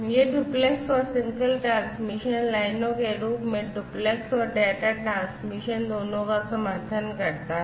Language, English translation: Hindi, And, it supports both duplex and you know, data transmission in the form of duplex, and single you know transmission lines